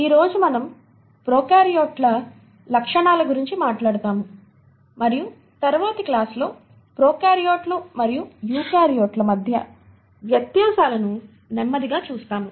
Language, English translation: Telugu, Today we will talk about the features of prokaryotes and then slowly move on in the next class to the differences between prokaryotes and eukaryotes